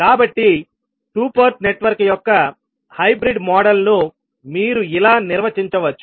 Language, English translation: Telugu, So, hybrid model of a two Port network you can define like this